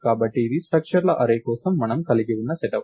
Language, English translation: Telugu, So, this is the set up that we have for array of structures